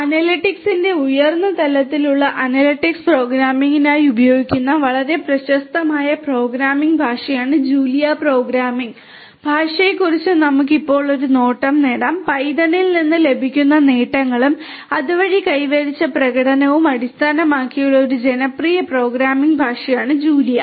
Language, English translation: Malayalam, Let us now have a glimpse at the Julia programming language which is quite popular programming language used for analytics programming high level programming of analytics and Julia is a popular programming language that builds on the benefits that are obtained from python and the performance that is achieved with c language